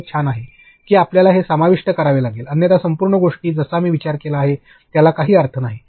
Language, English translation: Marathi, That this is cool you have to include this otherwise my entire like whatever I have thought of it does not make sense